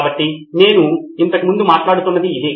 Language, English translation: Telugu, So this is there, this is what you are saying